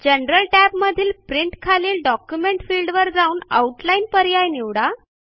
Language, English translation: Marathi, In the General tab, under Print, in the Document field, choose the Outline option